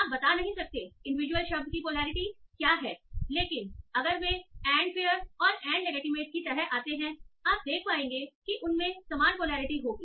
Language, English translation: Hindi, You may not be able to tell what is the polarity of the individual word, but if they are occurring with and fair and legitimate, you would be able to say that they will have the same polarity